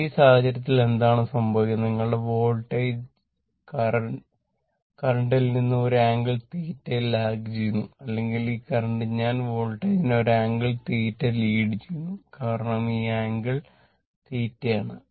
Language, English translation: Malayalam, In this case, what is happening that your voltage actually lagging from the current by an angle theta or this current I this current I actually leading this voltage by an angle your what you call theta, because this angle this angle is theta, this angle is theta right